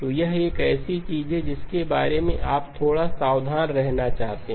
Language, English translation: Hindi, So that is something that you want to be a little bit careful about